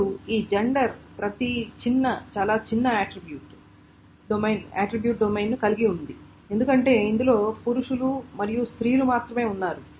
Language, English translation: Telugu, Now, each of this gender has a very small attribute domain because it contains only male and female